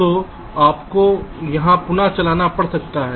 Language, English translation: Hindi, so you may have to do an iteration here again